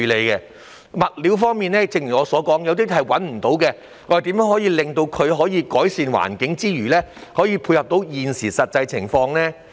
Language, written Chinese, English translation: Cantonese, 正如我剛才所說，有些物料現時已找不到，當局應研究如何在改善環境之餘，亦能配合現今的實際情況。, As I have just said some of the materials are no longer available . While exploring ways to improve the environment the authorities should at the same time cater for the actual situation at the moment